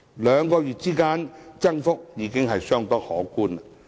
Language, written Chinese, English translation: Cantonese, 兩個月間的增幅已相當可觀。, In two months time the amount increased very substantially